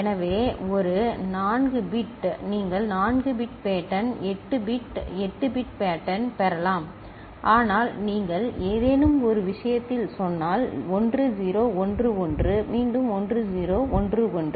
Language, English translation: Tamil, So, a 4 bit you can get 4 bit pattern, 8 bit 8 bit pattern ok, but if you say in some case you are loading it with say 1 0 1 1 again 1 0 1 1